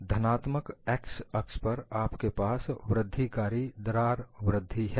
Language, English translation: Hindi, On the positive x axis, you have incremental crack growth